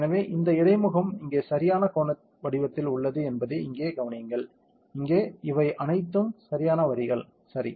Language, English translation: Tamil, So, just observe here that this interface is here is right angled in color as shape, here also these are all perfect lines, ok